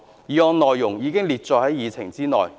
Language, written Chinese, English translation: Cantonese, 議案內容已載列於議程內。, The content of the motion is printed on the Agenda